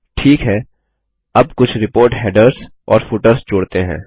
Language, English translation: Hindi, Okay, now let us add some report headers and footers